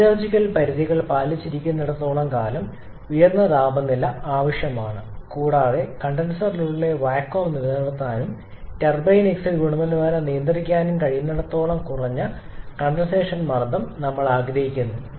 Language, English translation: Malayalam, We want a higher maximum temperature as long as your metallurgical limits are adhered with and we want a lower condensation pressure as long as you can maintain the vacuum inside the condenser and again the turbine exit quality is manageable